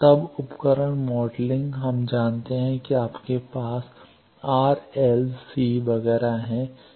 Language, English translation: Hindi, Then device modeling we know that you have r, l, c, etcetera